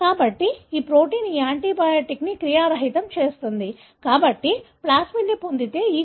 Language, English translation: Telugu, So, this protein would inactivate this antibiotic, therefore the E